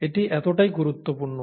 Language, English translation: Bengali, So it’s that important